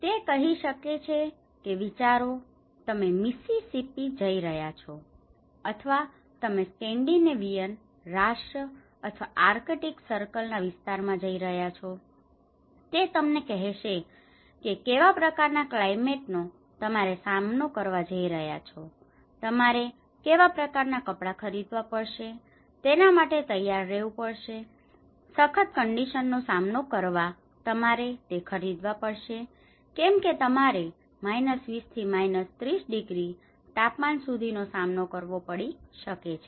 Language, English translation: Gujarati, It can tell imagine, you are going to Mississippi or you are going to the Scandinavian countries or the arctic circle areas, it will tell you what kind of climate you are going to face so, you may have to prepare what kind of clothes you have to purchase, we have to buy you know for the harsh living conditions you may have to cope up with 20, 30 degrees